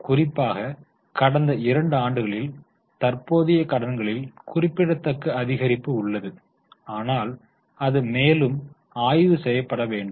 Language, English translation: Tamil, Particularly in the last two years, there is a remarkable increase in current liabilities, maybe that needs to be further studied